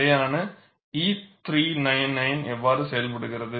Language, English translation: Tamil, This is how the standard E399 operates